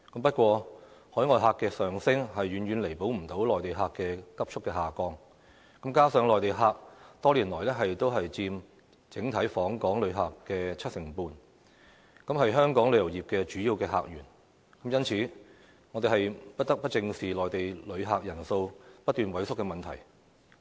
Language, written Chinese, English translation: Cantonese, 不過，海外旅客的上升，遠遠無法彌補內地旅客的急速下降，加上內地旅客多年來都佔整體訪港旅客約七成半，是香港旅遊業的主要客源，因此我們不得不正視內地旅客人數不斷萎縮的問題。, However the increase in overseas visitors cannot make up the shortfall arising from the rapid decrease in Mainland visitors . Given that Mainland visitors have accounted for around 75 % of the overall visitor arrivals over the years representing a major source of visitors for our tourism industry we have to face up to the problem of a shrinking number of Mainland visitors